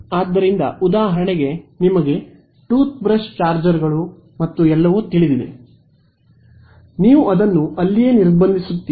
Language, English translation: Kannada, So, for example, these you know toothbrush chargers and all, you would block it over there